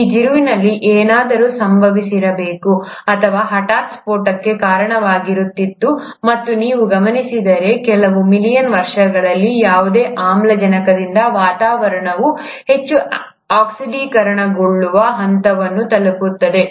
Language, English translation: Kannada, Something must have happened at this turn, which would have led to the sudden burst, and if you noticed, within a few million years, from hardly any oxygen to reach a point where the atmosphere becomes highly oxidized